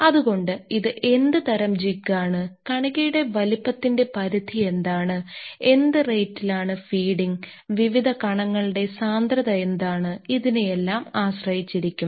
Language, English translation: Malayalam, So, it depends on what type of jig what is the particles size range, at what rate you are feeding and what is the density of the different particles